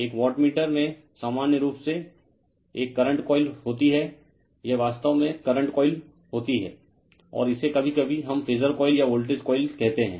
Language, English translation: Hindi, General in a wattmeter you have a current coil this is actually current coil right and this is i am sometimes we call phasor coil or voltage coil